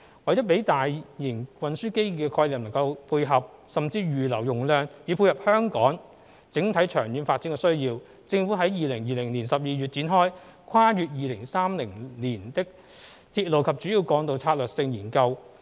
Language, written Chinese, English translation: Cantonese, 為了讓大型運輸基建的規劃能配合、甚或預留容量以滿足香港整體長遠發展的需要，政府於2020年12月展開《跨越2030年的鐵路及主要幹道策略性研究》。, In order to ensure that the planning of large - scale transport infrastructure will complement or even reserve capacity to meet the overall long - term development needs of Hong Kong the Government commenced the Strategic Studies on Railways and Major Roads beyond 2030 in December 2020